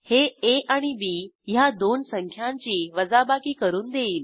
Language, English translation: Marathi, This returns the subtraction of two numbers a and b